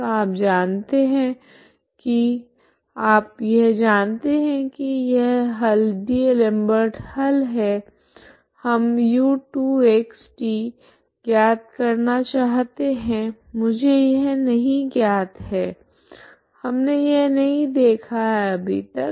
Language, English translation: Hindi, So you know that you know this solution is D'Alembert's solutionso we need to find we need to find u2( x ,t ) this I do not know, okay this we have not seen so far